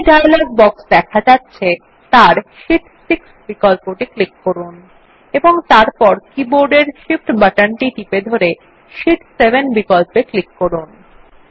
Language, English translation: Bengali, In the dialog box which appears, click on the Sheet 6 option and then holding the Shift button on the keyboard, click on the Sheet 7 option